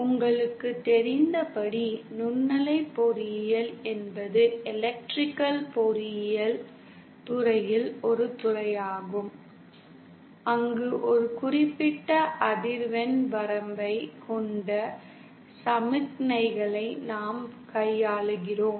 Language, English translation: Tamil, As you know, microwave engineering is a field in Electrical engineering where we deal with signals having a certain frequency range